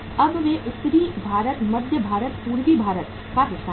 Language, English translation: Hindi, Now they are left with the northern India, Central India, part of the Eastern India